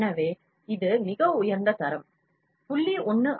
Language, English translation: Tamil, So, it is highest quality, 0